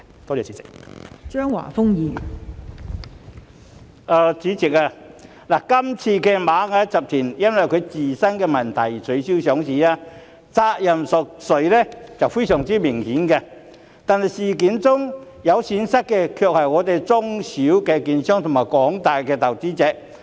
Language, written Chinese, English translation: Cantonese, 代理主席，這次螞蟻集團因為自身問題而取消上市，責任誰屬顯而易見，但在事件中蒙受損失的卻是中小型券商和廣大投資者。, Deputy President the listing of Ant Group was called off due to the companys own problems . While it is easy to tell who should be held responsible for the withdrawal small and medium - sized brokerage firms and the investing public are the ones who suffered losses in this incident